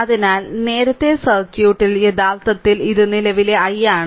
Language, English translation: Malayalam, So, earlier in the circuit actually just let me go to go to the circuit right here this is the current i